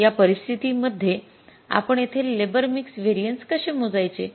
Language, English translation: Marathi, So, how would you calculate this labor mix variance